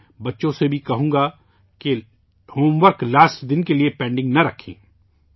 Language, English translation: Urdu, I would also tell the children not to keep their homework pending for the last day